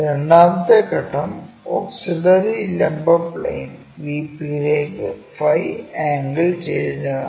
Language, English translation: Malayalam, Then, second point auxiliary vertical plane is inclined it phi angle to VP